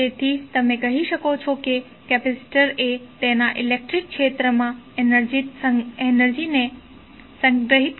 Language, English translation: Gujarati, So that is why you can say that capacitor is element capacitance having the capacity to store the energy in its electric field